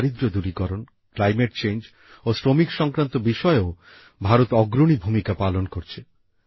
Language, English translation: Bengali, India is also playing a leading role in addressing issues related to poverty alleviation, climate change and workers